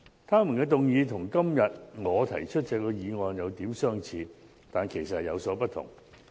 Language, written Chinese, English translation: Cantonese, 他們的議案與今天我提出的議案有點相似，但其實有所不同。, Their motions may look similar to the one I proposed today but they are actually different